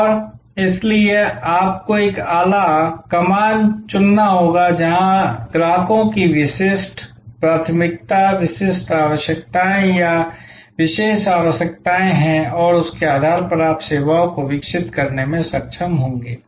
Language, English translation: Hindi, And so you have to choose a niche, where customers have a distinctive preference, unique needs or special requirements and based on that you will be able to develop services